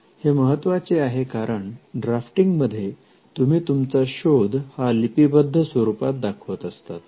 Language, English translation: Marathi, This is important because, in drafting you are representing the invention in a textual form